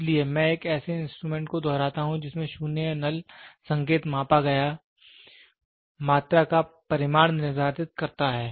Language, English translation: Hindi, So, I repeat an instrument in which 0 or null indication determines the magnitude of the measured quantity